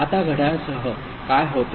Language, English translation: Marathi, Now with the clock, what happens